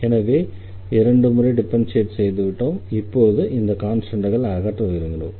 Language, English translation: Tamil, So, now, we have already differentiated this two times and now you want to eliminate these constants